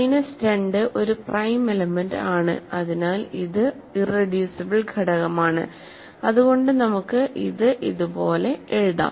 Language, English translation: Malayalam, So, minus 2 is also a prime element so and hence it is an irreducible element so we can write it like this